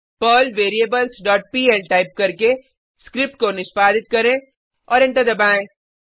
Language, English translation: Hindi, Execute the script by typing perl variables dot pl and press Enter